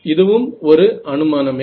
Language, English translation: Tamil, This is also an assumption